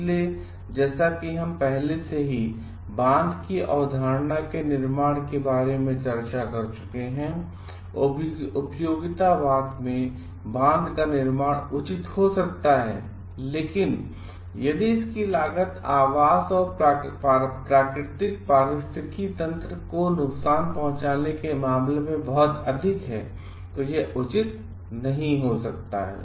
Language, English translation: Hindi, So, building a as we have already discussed about the building the dam concept, building a dam in the utilitarianism may be justified, but if it costs a lot in terms of harming the habitat and the natural ecosystem, it may not be justified